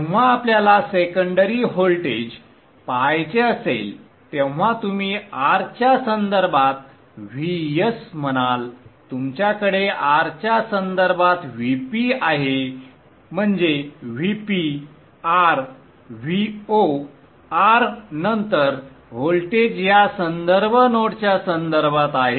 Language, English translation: Marathi, So when you want to see the secondary voltage you will say VS with respect to R, VP with respect to R, that is VP comma R, VO comma R, then the voltages are with respect to this reference node